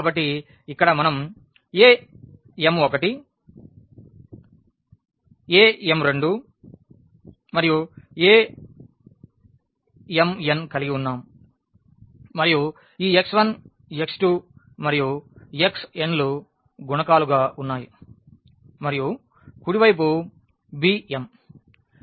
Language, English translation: Telugu, So, here we have a m 1 a m 2 a m n and these are the coefficients of x 1 x 2 x 3 x n and the right hand side is b m